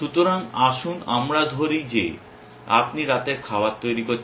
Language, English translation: Bengali, So, let us say you are making dinner essentially